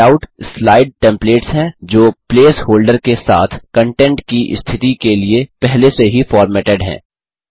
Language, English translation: Hindi, Layouts are slide templates that are pre formatted for position of content with place holders